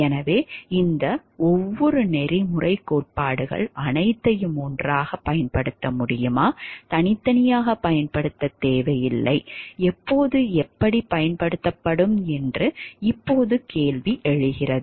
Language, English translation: Tamil, So, now question comes when we know of all these different ethical theories can it be used together, does not need to be used separately which will be used when and how